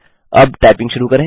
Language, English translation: Hindi, Now, let us start typing